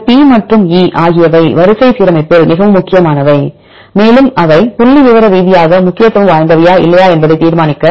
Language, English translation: Tamil, These P and E are very important in the sequence alignment, and to judge the sequences whether they are statistically significant or not